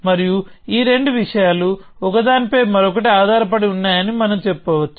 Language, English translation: Telugu, And we can say that these two things are dependent of each other